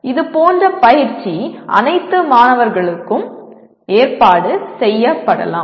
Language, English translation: Tamil, Such coaching can be organized for all the students